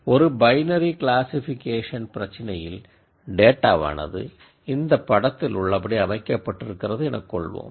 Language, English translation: Tamil, In a binary classification problem if the data is organized like it is shown in this picture here